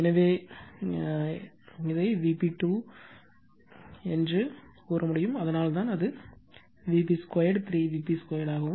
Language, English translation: Tamil, So, it is just V p square that is why it is V p square 3 V p square